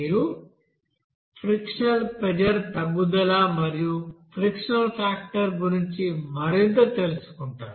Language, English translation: Telugu, And you will know that more about that frictional pressure drop and friction factor